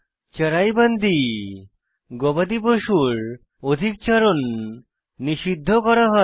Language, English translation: Bengali, CharaiBandi Overgrazing of cattle was banned